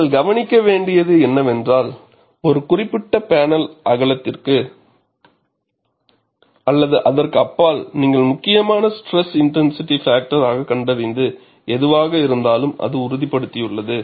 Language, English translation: Tamil, And what you will also have to notice is, only for a particular panel width or beyond that, whatever the property you find out as critical stress intensity factor, it stabilizes